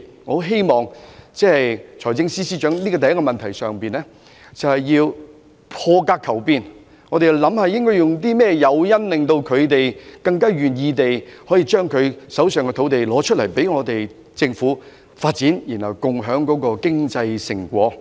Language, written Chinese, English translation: Cantonese, 我希望財政司司長可以在這個問題上破格求變，研究有甚麼誘因可令土地擁有人更願意拿出手上的土地供政府發展，然後共享經濟成果。, I hope that the Financial Secretary will seek out - of - the - box changes in this respect and examine the incentives that can be provided to make landowners more willing to surrender their land to the Government for development so as to share the economic fruits together